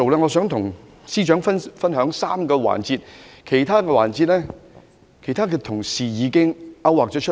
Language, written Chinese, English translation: Cantonese, 我想跟司長分享3個環節，因為其他環節已由其他同事勾劃出來。, I would like to share three points with the Financial Secretary as the rest has already been outlined by other colleagues